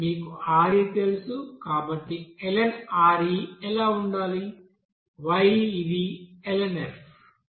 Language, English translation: Telugu, You know Re, so what should be the ln Re; y this is basically ln f